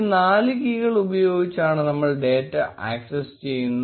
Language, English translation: Malayalam, We will be using these four keys to access data